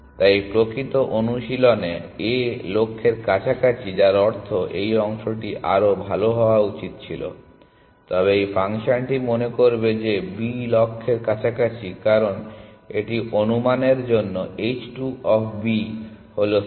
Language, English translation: Bengali, So, in actual practice A is closer to the goal which means this part should have been better, but this function will think that B is closer to the goal because of the estimate it has h 2 of B is 70 which is less than 80